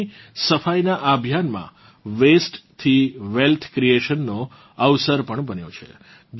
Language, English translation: Gujarati, This campaign of cleaning the river has also made an opportunity for wealth creation from waste